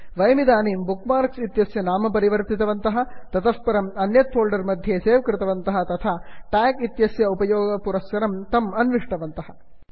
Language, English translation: Sanskrit, So, we have renamed the bookmark, saved it in another folder and located it using a tag